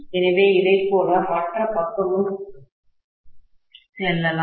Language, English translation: Tamil, So, similarly the other side also it can go like this